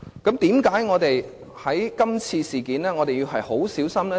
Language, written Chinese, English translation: Cantonese, 為何我們在今次事件上要很小心？, Why do we have to be very careful in this incident?